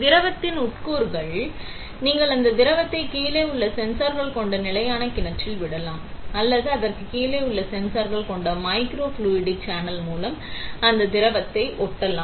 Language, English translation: Tamil, The constituents of the liquid, you can either drop that liquid on to a static well which contains sensors below; or you can flow that liquid through a microfluidic channel with sensors below it